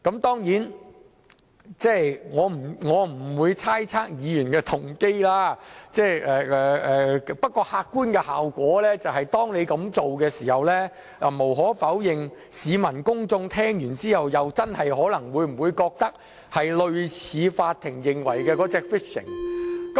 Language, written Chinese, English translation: Cantonese, 當然，我不會猜測議員的動機，不過客觀的效果是，當議員這樣做時，無可否認市民公眾聽到後，真的可能會認為，這做法是類似法庭所指的 "fishing" 行為。, Of course I will not speculate on the motives of Members but the objective effect is that when Members are doing this members of the public will undeniably think that this practice resembles what the court refers to as fishing behaviour